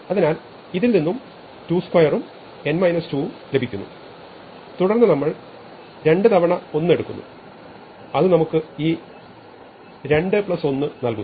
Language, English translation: Malayalam, So, we get 2 square coming from this M n minus 2 and then we take 2 times 1 that gives us this 2 plus 1